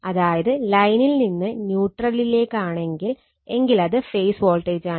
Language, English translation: Malayalam, So, this is line to line voltage, and this is your line to neutral we call phase voltage